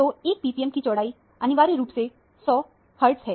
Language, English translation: Hindi, So, 1 ppm width is essentially 100 hertz